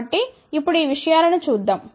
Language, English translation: Telugu, So, let us look at these things now